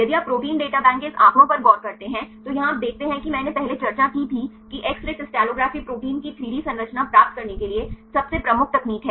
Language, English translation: Hindi, If you look into this statistics of Protein Data Bank, here you see as I discussed earlier X ray crystallography is the most prominent technique to obtain the 3D structures of proteins